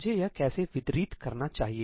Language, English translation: Hindi, How should I distribute this